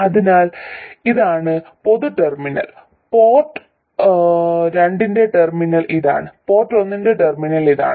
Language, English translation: Malayalam, So this is the common terminal and this is the terminal for port 2 and this is the terminal for port 1